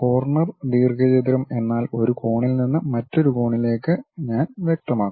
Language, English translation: Malayalam, Corner rectangle means I have to specify one corner to other corner